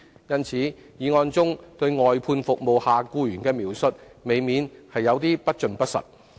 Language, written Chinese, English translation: Cantonese, 因此，議案中對外判服務下僱員的描述，未免有點不盡不實。, Hence the situation of employees of outsourced services as depicted in the motion may be a bit incomplete and inaccurate